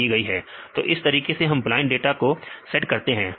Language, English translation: Hindi, So, this is how we take it as a blind data set fine